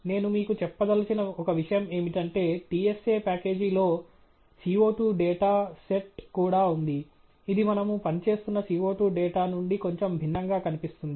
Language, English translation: Telugu, But one thing that I want to tell you, the TSA package also has a CO 2 data set, which looks quite a bit different from the CO 2 data that we have been working with